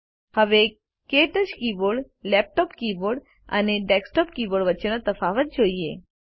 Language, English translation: Gujarati, Now let us see if there are differences between the KTouch keyboard, laptop keyboard, and desktop keyboard